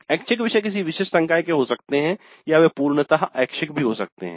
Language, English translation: Hindi, So the electives may be discipline specific or they may be open electives